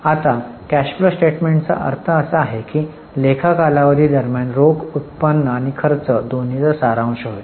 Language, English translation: Marathi, Now, the meaning of cash flow statement is it is a summary of cash flows both receipts as well as payments during an accounting period